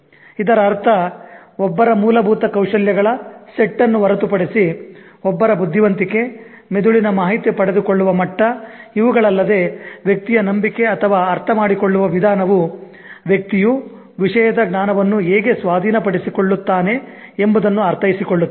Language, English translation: Kannada, This means apart from one's basic skill set, one's intelligence, one's brains level of acquiring information, apart from this, the way a person is believing or understanding as how the person is able to gain, acquire knowledge about a subject